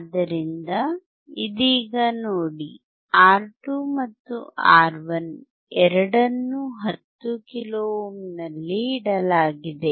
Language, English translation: Kannada, So, right now see R2 and R1 both are kept at 10 kilo ohm